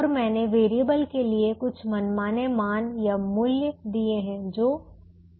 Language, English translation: Hindi, so now i have given some arbitrary values, three and five